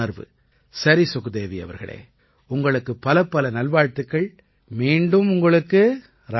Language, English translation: Tamil, Sukhdevi ji, I wish you all the very best, RadheRadhe to you once again